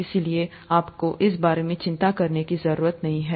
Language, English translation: Hindi, Therefore you don’t have to worry about this